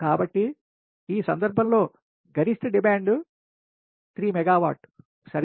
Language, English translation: Telugu, in this case, that maximum demand is three megawatt, right